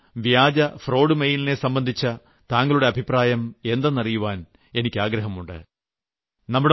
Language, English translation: Malayalam, What is your opinion about such cheat and fraud emails